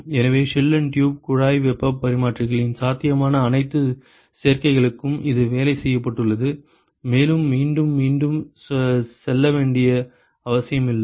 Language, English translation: Tamil, So, this has been worked out for almost all possible combinations of shell and tube heat exchangers and there is no need to go over it again and again